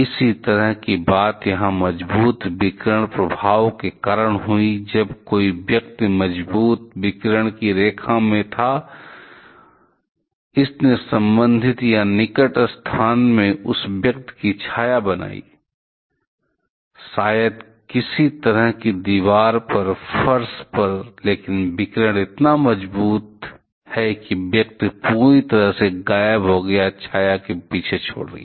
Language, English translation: Hindi, The similar kind of thing happened here because of the strong radiation effect, when some person was in the line of the strong radiation, it created a shadow of that person in the associated or in the near location; the maybe on the floor on some kind of wall, but the radiation so strong the person completely vanished, leaving behind the shadow